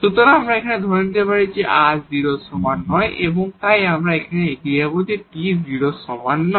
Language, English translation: Bengali, So, here we assume r is not equal to 0 and now, proceed so same thing we can do when t is not equal to 0